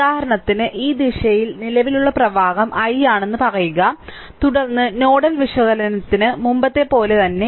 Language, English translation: Malayalam, For example, say current flowing in this direction is i, then same as before for nodal analysis we have seen